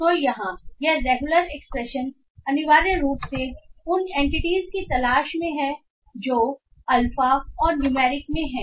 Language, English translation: Hindi, So here this regular expression essentially looks for those entities which are in alphanumeric